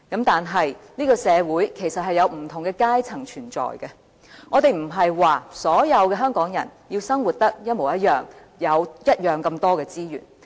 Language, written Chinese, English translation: Cantonese, 但是，這個社會其實是有不同的階層存在。我們不是說要所有香港人生活得一模一樣，有相同數量的資源。, Society is understandably made up of different social strata and we are not saying that the living standards of all Hong Kong people must be the same and each of them must be given the same amount of resources